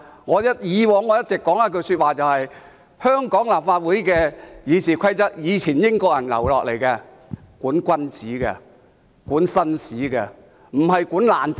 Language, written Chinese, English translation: Cantonese, 我以往一直說，香港立法會的《議事規則》是以前英國人留下的，是用來管君子、管紳士，而不是管"爛仔"。, I have always said previously that the Rules of Procedure RoP of the Legislative Council of Hong Kong was passed down by the British people in the past and it is used to manage men of honour and gentlemen but not gangsters